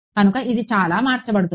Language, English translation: Telugu, So, that can get converted how